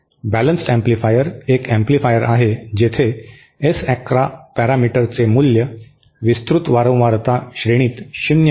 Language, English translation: Marathi, A balanced amplifier is an amplifier where the S 11 parameter is 0 over a wide frequency range